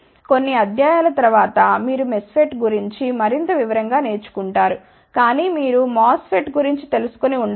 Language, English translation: Telugu, You will learn in detail more about MESFET, after few lectures, but just to mention you might be knowing about MOSFET